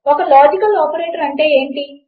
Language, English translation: Telugu, What is a logical operator